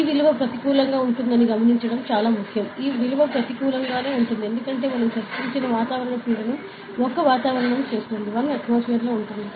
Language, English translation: Telugu, So, very important to note that this value can be negative, ok; this value can be negative; because see the atmospheric pressure that we discussed does 1 atmosphere ok